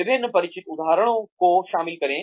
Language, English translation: Hindi, Include a variety of familiar examples